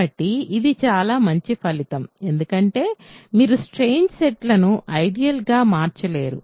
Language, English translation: Telugu, So, this is a very nice result right because you cannot have strange sets becoming ideals